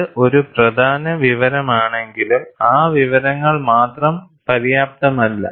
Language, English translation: Malayalam, Though it is important information, that information alone, is not sufficient